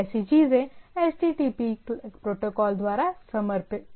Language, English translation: Hindi, So, there are different HTTP methods